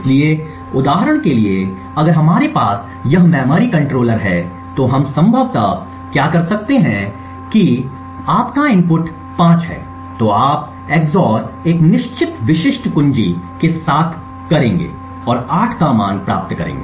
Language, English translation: Hindi, So, for example if we have this memory controller what we could possibly do is if your input is 5 you EX OR it with a certain specific key and obtain a value of 8